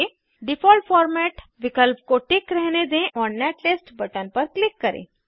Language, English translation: Hindi, Keep Default format option checked and click on Netlist button